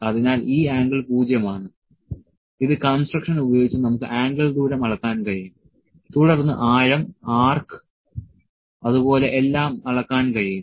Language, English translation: Malayalam, So, this angle is 0 which using construction we can measure the angle distance, then the depth the arc, all the things can be measured